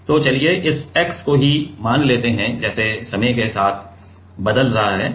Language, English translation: Hindi, So, let us say this x itself as a like with time it is changing right